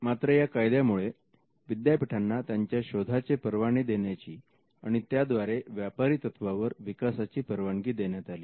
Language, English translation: Marathi, Now, this act allowed universities to license their inventions and to commercially development